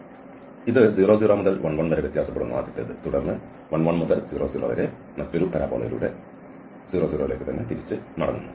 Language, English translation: Malayalam, So, this varies from 0, 0 to 1, 1 and then getting back to 0, 0 through the another parabola from 1, 1 to 0, 0